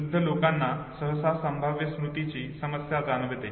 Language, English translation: Marathi, Older people usually they show this problem of prospective memory